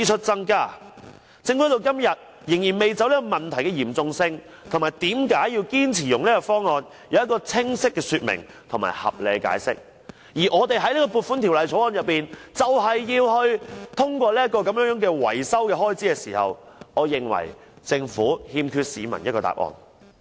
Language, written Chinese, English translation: Cantonese, 政府至今仍未就這個問題的嚴重性及為何堅持使用此方案提出清晰的說明和合理的解釋，便要在《2018年撥款條例草案》通過這項維修開支，我認為政府欠市民一個答案。, So far the Government has still failed to properly clarify and clearly explain the seriousness of this problem and why it has insisted on this option yet it rushes to pass the maintenance expenditure in the Appropriation Bill 2018 . I think the Government owes the public an answer